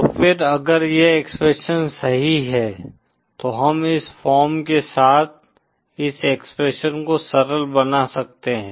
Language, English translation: Hindi, So then in case if this expression holds true then we can simplify this expression with this form